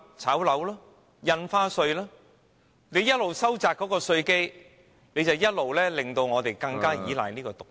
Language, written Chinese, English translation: Cantonese, 政府一邊收窄稅基，一邊又令我們更依賴這些"毒藥"......, The Government narrows the tax base and makes us more dependent on these poisons